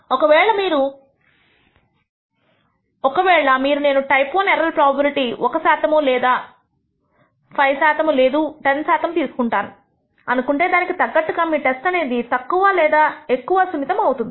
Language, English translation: Telugu, So, you decide that I am willing to accept a type I error probability of 1 per cent or 5 percent or 10 percent, and accordingly your test will be less or more sensitive